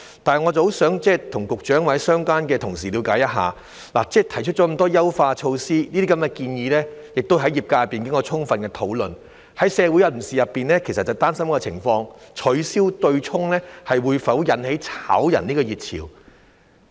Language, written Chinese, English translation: Cantonese, 但是，我很想跟局長或相關的同事了解一下，提出了那麼多優化措施，這些建議亦在業界經過充分討論，部分社會人士其實擔心一個情況，就是取消對沖會否引起"炒人"熱潮？, But I would very much like to understand something from the Secretary or relevant colleagues . After so many refinement measures have been proposed which have also been thoroughly discussed by the industry some members of the community are actually worried about a particular prospect namely that of whether the abolition of the offsetting mechanism would lead to a wave of dismissals